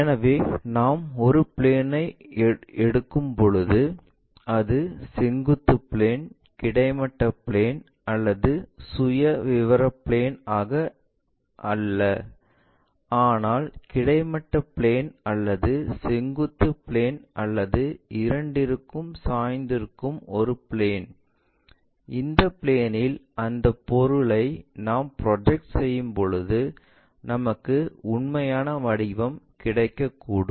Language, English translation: Tamil, So, when we are picking a plane not of a vertical plane, horizontal plane not profile plane, but a plane which is either inclined to horizontal plane or vertical plane or both; when we are projecting that object onto that plane we may get true shape